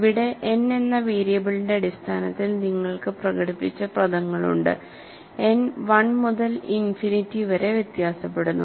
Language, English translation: Malayalam, And here, you have the terms expressed in terms of variable n, n varies from 1 to infinity; and you have terms corresponding to mode 1 and terms corresponding to mode 2